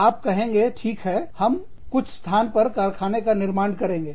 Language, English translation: Hindi, You will say, okay, i will open a factory, in some location